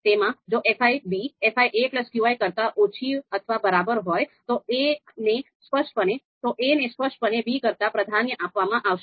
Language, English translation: Gujarati, So in that in the third scenario fi b is less than or equal to fi a plus qi, so here b is you know, a is very clearly preferred over b